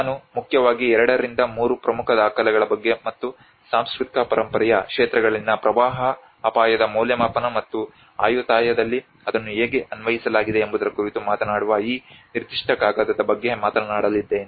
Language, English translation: Kannada, I am going to refer about mainly two to three important documents and this particular paper Which talks about the disaster aspect of it where the flood risk assessment in the areas of cultural heritage and how it has been applied in the Ayutthaya